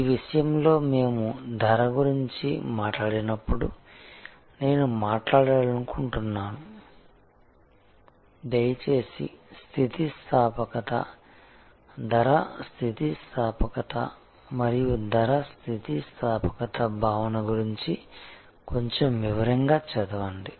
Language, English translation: Telugu, In this respect, I would like to talk about when we talk about price, please do read about a little bit more in detail about the elasticity, price elasticity, the concept of price elasticity